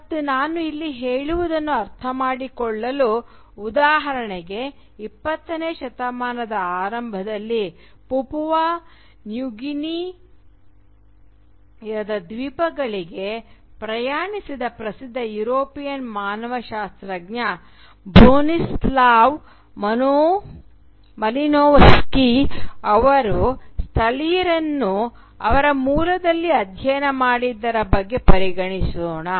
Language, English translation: Kannada, And to understand what I mean here, let us consider for example the famous European anthropologist Bronislaw Malinowski who travelled in the early 20th century to the islands of Papua New Guinea to study the natives in their “original” setting